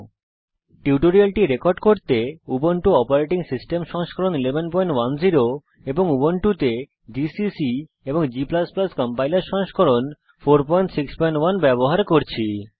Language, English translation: Bengali, To record this tutorial, I am using: Ubuntu 11.10 as the operating system gcc and g++ Compiler version 4.6.1 in Ubuntu